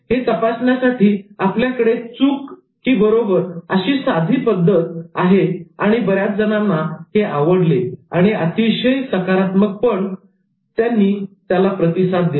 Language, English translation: Marathi, We had a simple true or false way of doing this assessment and many enjoyed and then many responded to that in a very positive manner